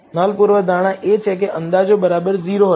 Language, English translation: Gujarati, The null hypothesis is that the estimates will be equal to 0